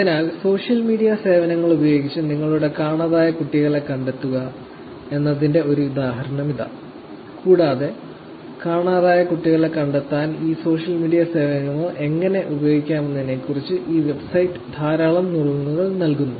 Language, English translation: Malayalam, So, here is one example which is 'find your missing child' using only social media services, and this website actually provides lot of tips on how one can use these social media services to connect with children to find out the missing children